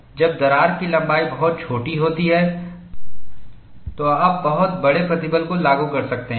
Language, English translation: Hindi, When the crack length is very small, you could apply a very large stress